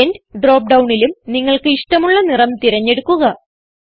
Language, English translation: Malayalam, Select End drop down and select colour of your choice